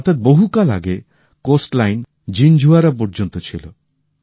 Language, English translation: Bengali, That means, earlier the coastline was up to Jinjhuwada